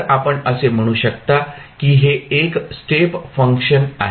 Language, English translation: Marathi, So, you will simply say it is a step function